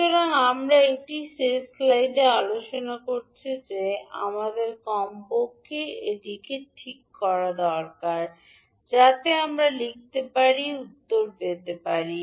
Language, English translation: Bengali, So that is what we have discussed in the last slide that we need to fix at least one so that we can write, we can get the answer